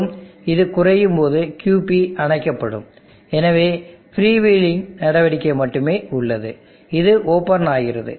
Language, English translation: Tamil, And when this goes slow, QP goes off, there is only freewheeling action there is happening here this is open